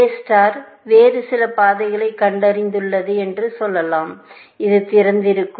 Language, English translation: Tamil, Let us say that A star has found some other path so, this is open